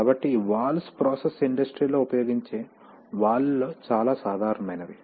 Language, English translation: Telugu, So these valves are one of the most common types of valves used in the process industry